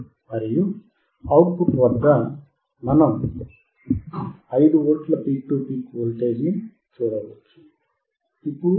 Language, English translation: Telugu, And at the output we can see, 5V peak to peak , now it is 5